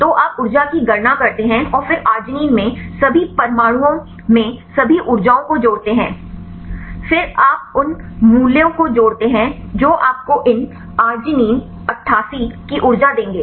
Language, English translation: Hindi, So, you calculate the energy then sum up all the energies in all the atoms in the arginine then you sum up the values that will give you the energy of these arginine 88